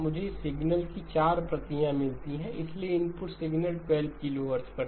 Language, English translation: Hindi, I get 4 copies of the signal, so the input signal was at 12 kilohertz